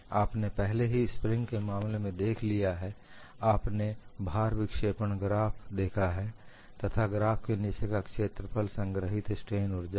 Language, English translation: Hindi, You have already seen for the case of a spring, you have seen the load deflection graph and area below the graph is the strain energy stored here again the loads are gradually applied